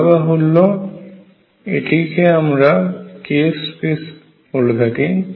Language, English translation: Bengali, And by the way this is usually referred to as the k space